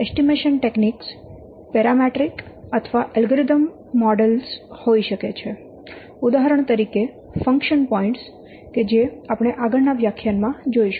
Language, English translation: Gujarati, And then the estimation techniques can be parametric or algorithm models for example, function points that will see in the next class